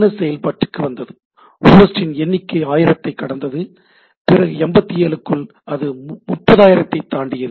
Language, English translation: Tamil, In 84 DNS came into play; number of host crosses 1000, by 87 it crossed 30000